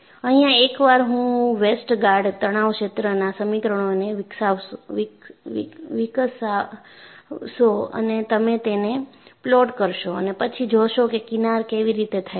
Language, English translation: Gujarati, Because once I develop Westergaard stress field equation, you would plot them and see how the fringes are